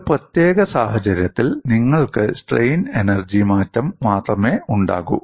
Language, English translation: Malayalam, In a particular situation, you may have only change of strain energy